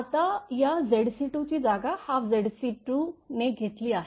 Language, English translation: Marathi, Now, this Z c 2 is replaced by Z c 2 by 2